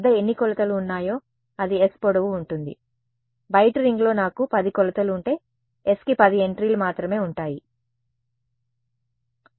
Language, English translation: Telugu, How many of measurements I have that will be the length of s right, if I have 10 measurements on the outside ring then s has only 10 entries